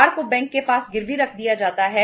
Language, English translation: Hindi, The car is pledged with the bank